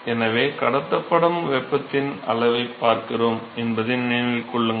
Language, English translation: Tamil, So, remember that we are looking at the amount of heat that is transported